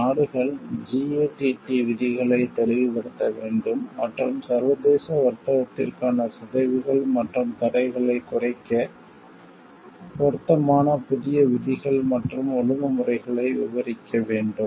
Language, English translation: Tamil, These countries were required to clarify GATT provisions and elaborate as a appropriate new rules and disciplines in order to reduce distortions and impediments to international trade